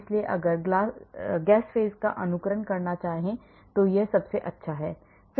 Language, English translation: Hindi, So, if I want to simulate gas phase this is the best